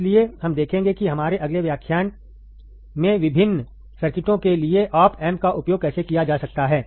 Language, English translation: Hindi, So, we will see how the op amps can be used for the different circuits in our next lecture